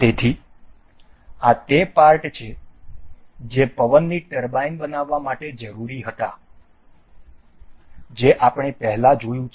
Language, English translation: Gujarati, So, these are the parts that were required to build that wind turbine that we have seen earlier